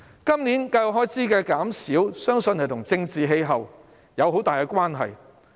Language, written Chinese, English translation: Cantonese, 今年教育開支的減少，相信與政治氣候有莫大關係。, The reduction in education expenditure this year I believe is closely related to the political climate